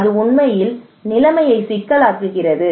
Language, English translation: Tamil, it actually makes the situation complex